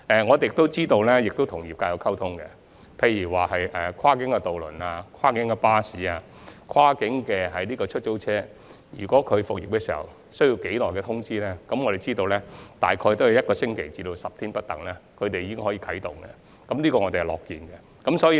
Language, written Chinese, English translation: Cantonese, 我們亦有與業界溝通，例如就跨境渡輪、跨境巴士及跨境出租車復業前所需的通知期，我們得知有關營辦商只需大約一星期至10天的通知期便可重新啟動，這是我們樂見的。, We have also been communicating with the trade on for example the notice period required before cross - boundary ferries CBCs and cross - boundary taxis resume their services . We are glad to learn that the operators concerned need only about 7 to 10 days notice to resume their services